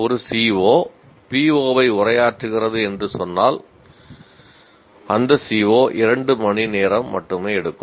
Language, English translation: Tamil, If let's say one CO is addressing PO 1, but that CO, I only take 2 hours